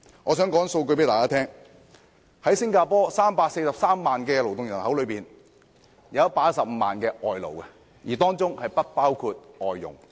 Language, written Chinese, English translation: Cantonese, 在新加坡的343萬勞動人口中，有115萬名外勞，當中不包括外傭。, In Singapore 1.15 million of the 3.43 million labour force are foreign workers exclusive of foreign domestic helpers